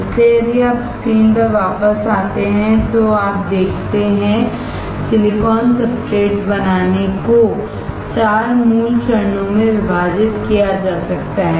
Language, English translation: Hindi, So, if you come back to the screen, what you see is, silicon substrate making can be divided into 4 basic steps